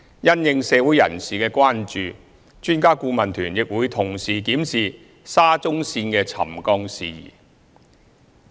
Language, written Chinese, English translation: Cantonese, 因應社會人士的關注，專家顧問團亦會同時檢視沙中線的沉降事宜。, In response to concerns in the community the Expert Adviser Team will also examine the settlement issue of SCL